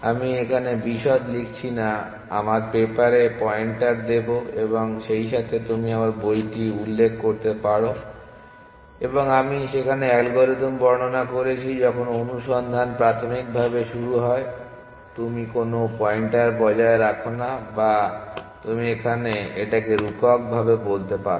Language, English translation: Bengali, So, I am not writing the details here we will give pointers to the papers as well as you can refer to my book and I have described the algorithm there initially when the search starts it, you do not maintain any pointer or you can say figuratively